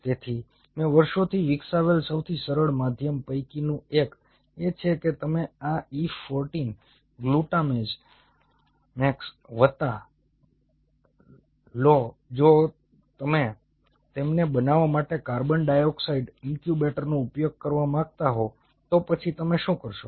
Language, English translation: Gujarati, so one of the easiest medium what i have developed over the years is you take for this e fourteen, glutamax plus, if you wanted to use a, a carbon dioxide incubator, to grow them